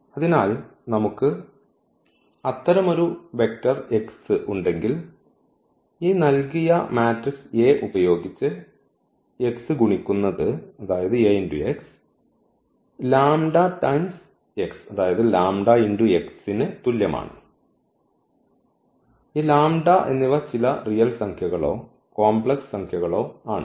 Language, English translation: Malayalam, So, if we have such a vector x whose multiplication with this given matrix a Ax is nothing, but the lambda time x and this lambda is some scalar some real number or a complex number